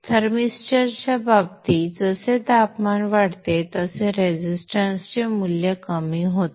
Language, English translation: Marathi, In the case the thermister as the temperature increases the value of the resistance will come down will decrease